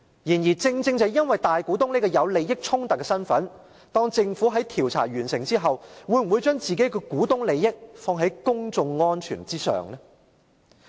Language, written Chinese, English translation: Cantonese, 然而，正正因為大股東這個有利益衝突的身份，政府在調查完成後，會否把自己的股東利益置於公眾安全之上？, However owing to the conflict of interest that may arise due to the Governments status as a major shareholder will the Government put its shareholder interests above public security upon completion of the investigation?